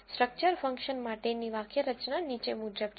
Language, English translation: Gujarati, The syntax for the structure function is as follows